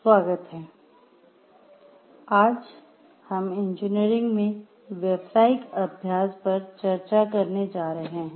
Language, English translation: Hindi, Welcome today we are going to discuss the Professional Practice in Engineering